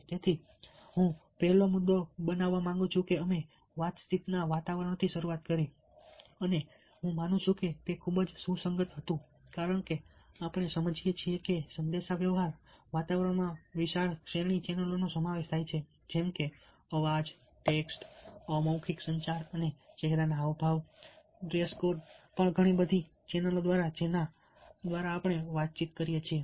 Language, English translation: Gujarati, so the first point: ah, i would like to make use that we started off with a communication environment, and i believe that that was very relevant, since we realize that the communication environment consists of a wide ah range of channels like voice, text, non verbal communication and facial expressions, even our dress code so many channels through which we communicate